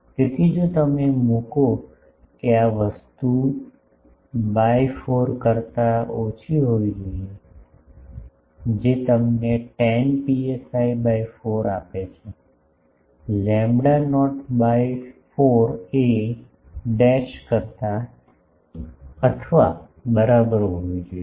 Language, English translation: Gujarati, So, if you put that this thing should be less than the by 4 that gives you the tan psi by 4, should be less than equal to lambda not by 4 a dash